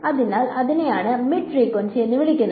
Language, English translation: Malayalam, So, that is what is called mid frequency ok